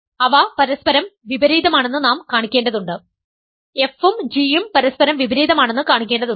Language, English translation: Malayalam, We need to produce that they are inverses of each other, we need to show that f and g are inverses of each other